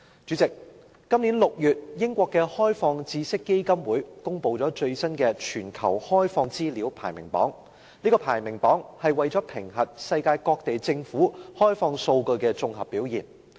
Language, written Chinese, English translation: Cantonese, 主席，今年6月，英國的開放知識基金會公布了最新的全球開放資料排名榜，評核世界各地政府開放數據的綜合表現。, President in June this year Open Knowledge Foundation of the United Kingdom published the newest global open data rankings and assessed the comprehensive performance in providing open data by various governments in the world